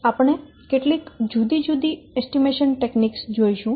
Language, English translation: Gujarati, We will see some different other types of estimation techniques